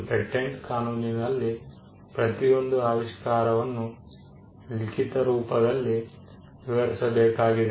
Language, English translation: Kannada, In patent law every invention needs to be described in writing